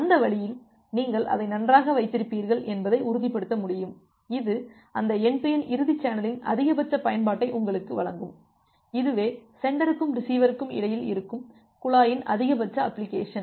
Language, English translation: Tamil, And that way you will be able to sure that well it will have, it will provide you maximum utilization of that end to end channel, the maximum utilization of the pipe which is there in between the sender and the receiver